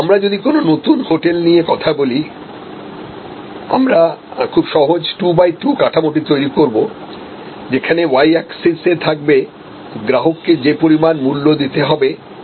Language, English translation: Bengali, That, if you are supposed meet in a new hotel, then we will create the simple 2 by 2 structure say on y axis we have cost to be paid, price to be paid by the customer